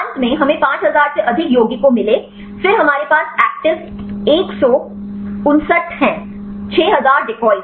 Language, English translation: Hindi, Finally, we ended up with this 5000 plus compounds; then we have the actives 159; 6000 decoys